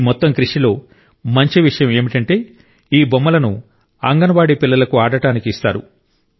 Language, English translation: Telugu, And a good thing about this whole effort is that these toys are given to the Anganwadi children for them to play with